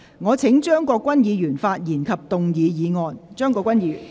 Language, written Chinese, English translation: Cantonese, 我請張國鈞議員發言及動議議案。, I call upon Mr CHEUNG Kwok - kwan to speak and move the motion